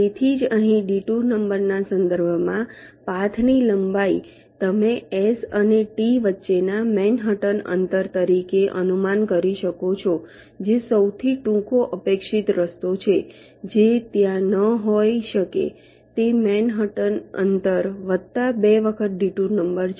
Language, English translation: Gujarati, so that's why the length of the path with respect to the detour number, here you can estimate as the manhattan distance between s and t, which is the expected shortest path, which may not be there, that manhaatn distance plus twice the detour number